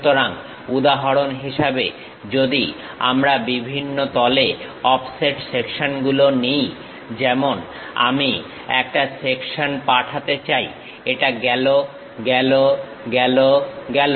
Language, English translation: Bengali, So, for example, if we are taking offset sections at different planes; for example, I want to pass a section goes, goes, goes, goes